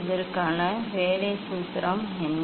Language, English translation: Tamil, what is the working formula for this